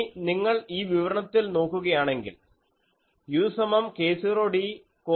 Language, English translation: Malayalam, So, then if you look at this expression, u is equal to k 0 d cos theta plus u 0